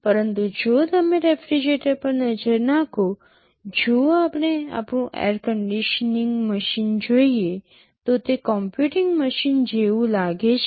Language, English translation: Gujarati, But if you look at a refrigerator, if we look at our air conditioning machine, do they look like a computing machine